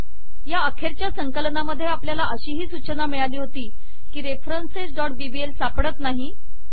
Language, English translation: Marathi, In this last compilation, we also got a warning, references.bbl is not found